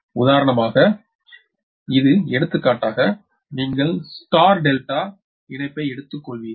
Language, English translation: Tamil, this is: for example, you take star delta connection